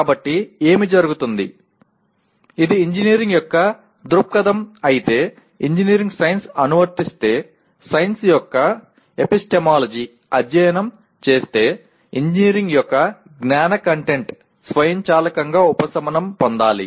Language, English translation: Telugu, So what happens is if this is the view of engineering, if engineering is applied science then studying the epistemology of science should automatically subsume the knowledge content of engineering